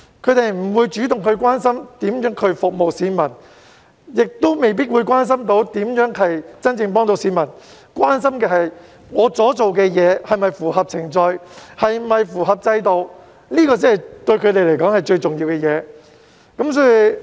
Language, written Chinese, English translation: Cantonese, 他們不會主動關心如何服務市民，亦未必會關心如何能真正幫助市民，關心的只是他們所做的事是否符合程序和制度，這對他們來說才是最重要的事情。, They do not actively care about how to serve the people nor do they care about how to truly help the people . All that they care about is whether what they do is in line with the procedure and the system . This is the most important thing to them